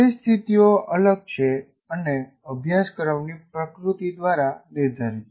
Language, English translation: Gujarati, So, situations are different by the nature of the course